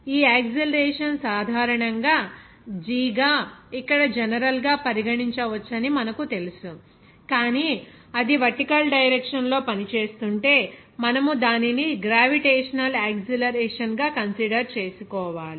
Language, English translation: Telugu, This acceleration will be acting you know that it is in general that g can be regarded a general here, but if it is working in vertical direction, then you have to consider it as gravitational acceleration